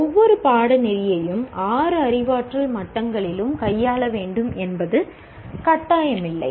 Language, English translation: Tamil, It is not mandatory that every course needs to be dealt with a dealt at all the six cognitive levels